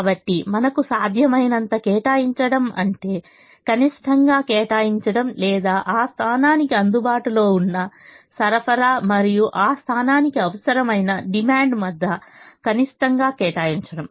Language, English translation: Telugu, so allocating as much as we can is allocating the minimum between, or minimum between, the available supply for that position and the required demand for that position